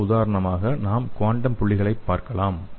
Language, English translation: Tamil, So the next example is we can use the quantum dots